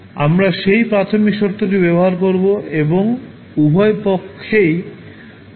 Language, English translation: Bengali, We use that particular initial condition and take integration at both sides